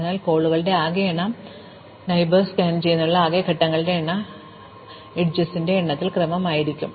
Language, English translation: Malayalam, So, the total numbers of calls, the total number of steps to scan the neighbours we will be order of the number of edges